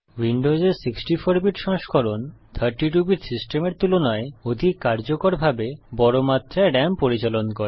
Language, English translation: Bengali, The 64 bit version of Windows handles large amounts RAM more effectively than a 32 bit system